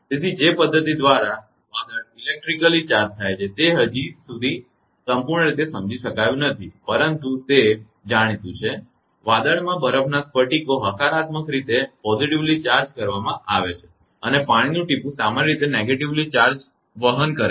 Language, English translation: Gujarati, So, the mechanism by which the cloud becomes electrically charged is not yet fully understood right, but it is known that ice crystals in an cloud are positively charged and the water droplet us usually carry negative charge